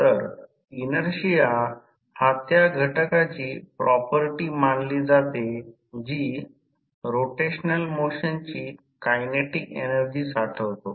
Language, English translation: Marathi, So, inertia is considered as the property of an element that stores the kinetic energy of the rotational motion